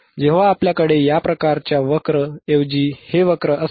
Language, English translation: Marathi, That you have this instead of this kind of curve